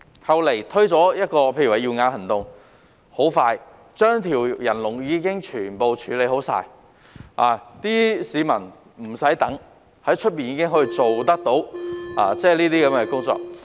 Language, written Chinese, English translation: Cantonese, 後來"耀眼行動"推出，不久便把人龍全部處理好，市民無須等待，在外面已可做到有關手術。, Shortly after the introduction of the Cataract Surgeries Programme the backlog was cleared . People do not have to wait anymore as they may undergo the surgery in the private sector